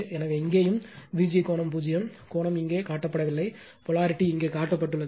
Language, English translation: Tamil, So, here also here also your what you call this is also my V g angle 0, angle is not shown here, polarity is shown here